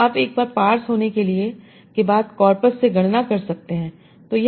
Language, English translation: Hindi, So this you can compute from your corpus once you have the pars